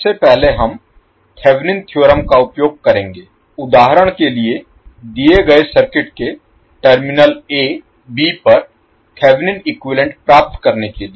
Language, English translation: Hindi, First we will use the Thevenin’s theorem to find the Thevenin equivalent across the terminal a b of the circuit given in the example